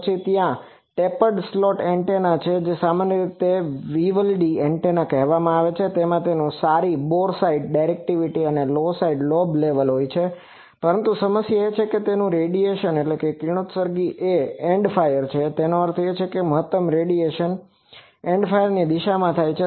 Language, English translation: Gujarati, Then there are tapered slot antenna which is commonly called Vivaldi antenna it has good boresight directivity and low side lobe level, but its problem is its radiation is End fire that means, maximum radiation takes place in the End fire direction